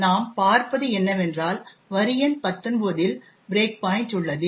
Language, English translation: Tamil, What we see is that there is the breakpoint at line number 19